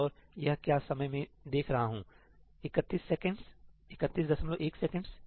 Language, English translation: Hindi, And what is the time I see 31 seconds, 31